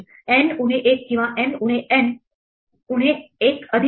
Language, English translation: Marathi, It goes from plus N minus one to minus N minus 1